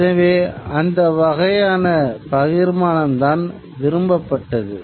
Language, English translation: Tamil, So, that kind of distribution was something that was sought after